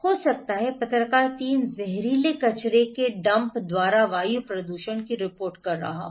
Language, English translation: Hindi, ” May be journalist 3 is reporting air pollution by toxic waste dump